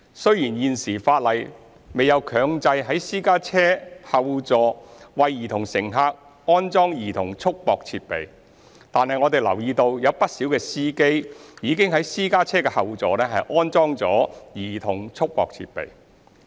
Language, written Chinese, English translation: Cantonese, 雖然現時法例未有強制在私家車後座為兒童乘客安裝兒童束縛設備，但我們留意到不少司機已在私家車後座安裝兒童束縛設備。, While there is currently no statutory requirement to mandate the installation of CRD in the rear seat of a private car for child passengers we note that quite often drivers have nonetheless fitted CRD in the rear seats of their cars